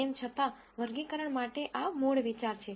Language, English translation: Gujarati, Nonetheless for classification this is the basic idea